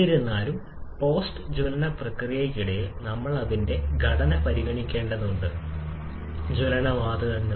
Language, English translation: Malayalam, However, during the post combustion processes we need to consider the composition of combustion gases